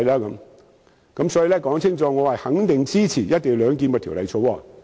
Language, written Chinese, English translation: Cantonese, 因此，我想清楚指出，我肯定支持《條例草案》。, Therefore I would like to point out clearly that I most certainly support the Bill